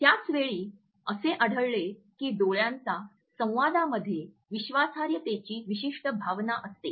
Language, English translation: Marathi, At the same time we find that eyes communicate is certain sense of trustworthiness